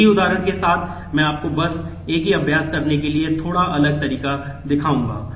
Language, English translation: Hindi, With the same example I will just show you a little different way ofdoing the same exercise